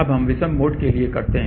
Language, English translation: Hindi, Now, let us do for odd mode